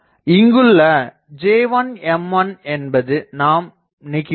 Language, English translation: Tamil, So, these J1 M1 they are radiating fields